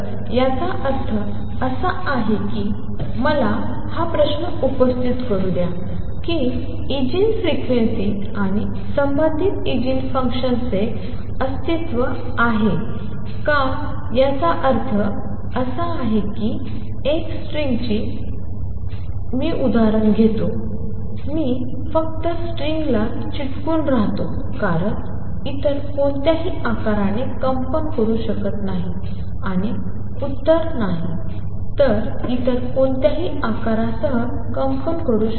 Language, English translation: Marathi, So, does it mean let me raise this question does the existence of Eigen frequencies and corresponding Eigen functions mean that a string since i am taking the examples of string I will just stick to string cannot vibrate with any other shape and the answer is no it can vibrate with any other shape